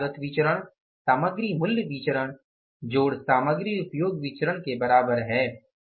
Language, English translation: Hindi, Material cost variance is equal to material price variance plus material usage variance